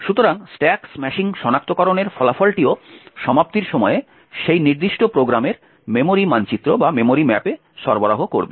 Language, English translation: Bengali, So, the result of the stack smashing detection would also, provide the memory map of that particular program at the point of termination